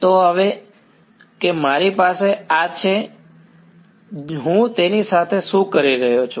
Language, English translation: Gujarati, So, now, that I have this what can I do with it